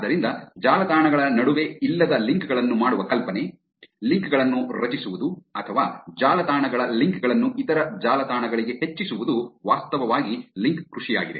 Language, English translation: Kannada, So, the idea of making the links between websites which is not otherwise there; creating links or increasing the links of the websites to other websites is actually link farming